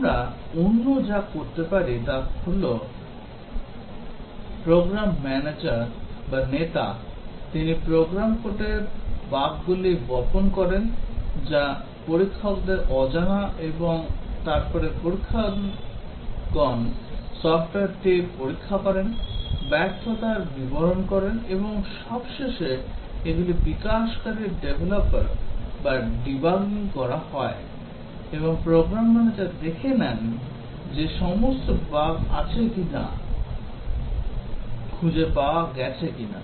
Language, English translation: Bengali, The other thing we can do, the program manager or the leader, he seeds bugs in the program code unknown to the testers and then the testers test the software, report failures and then these are debugged by the developers and the program manager finds out if all the bugs are, have been detected